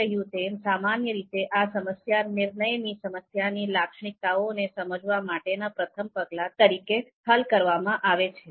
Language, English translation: Gujarati, So as I said typically you know these problems are solved as a first step to understand the characteristic characteristics of the decision problem itself